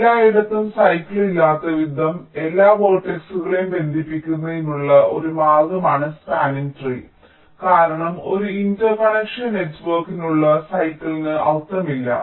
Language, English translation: Malayalam, this spanning tree is a way of connecting all the vertices such that there is no cycle anywhere, because cycles for a interconnection network does not make any sense now with respect to this spanning tree